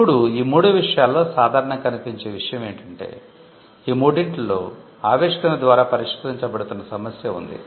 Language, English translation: Telugu, Now, what is common in all these 3 things is that, there is an problem that is being solved by the invention